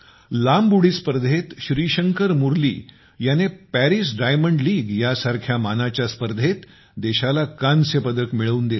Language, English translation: Marathi, For example, in long jump, Shrishankar Murali has won a bronze for the country in a prestigious event like the Paris Diamond League